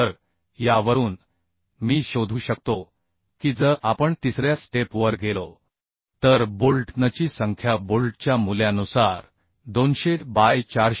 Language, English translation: Marathi, 3 So from this I can find out if we go to step 3 that number of bolt n will be Tu by bolt value that is 200 by 45